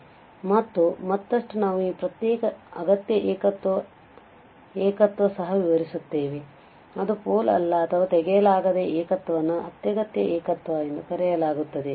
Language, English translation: Kannada, And further, another way we also define this isolated essential singularity which is not a pole or which is not a removable singularity is called essential singularity